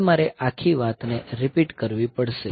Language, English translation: Gujarati, So, over now I have to repeat the whole thing